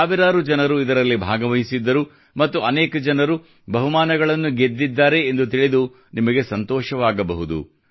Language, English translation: Kannada, You wouldbe pleased to know that thousands of people participated in it and many people also won prizes